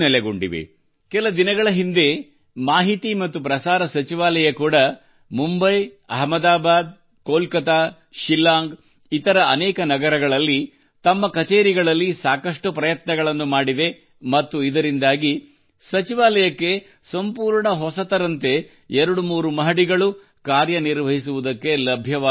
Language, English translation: Kannada, In the past, even the Ministry of Information and Broadcasting also made a lot of effort in its offices in Mumbai, Ahmedabad, Kolkata, Shillong in many cities and because of that, today they have two, three floors, available completely in usage anew